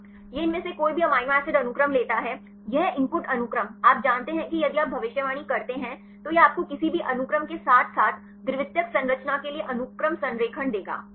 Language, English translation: Hindi, It takes any of these amino acid sequence; this input sequence; you know if you make prediction, this will give you the sequence alignments for any given sequence as well as secondary structure